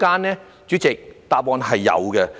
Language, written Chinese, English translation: Cantonese, 代理主席，答案是有的。, Deputy President the answer is in the affirmative